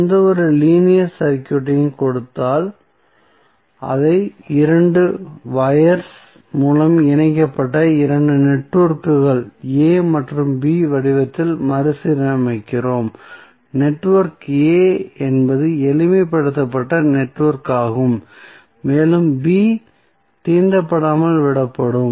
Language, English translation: Tamil, So, given any linear circuit, we rearrange it in the form of 2 networks A and B connected by 2 wires, network A is the network to be simplified and B will be left untouched